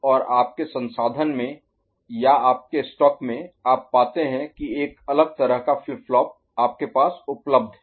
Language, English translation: Hindi, And in your resource, in your stock or library, you find that a different kind of flip flop is available with you ok